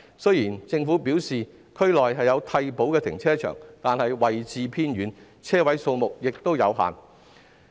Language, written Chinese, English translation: Cantonese, 雖然政府表示區內有替補的停車場，但是位置偏遠，車位數目亦有限。, Although the Government has indicated that there are other replacement car parks in the district they are remotely located with limited parking spaces